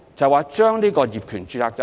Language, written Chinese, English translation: Cantonese, 問題就在於這個業權註冊制度。, The question lies in this title registration system